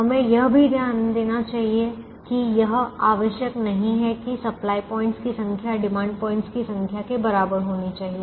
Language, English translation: Hindi, we should also note that it is not necessary that the number of supply points should be equal to the number of demand points